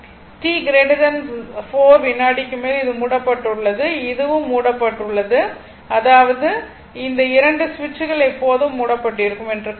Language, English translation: Tamil, Now at t greater than 4 second ah this is closed this is closed and this is also closed; that means, we will assume these 2 switches are closed forever right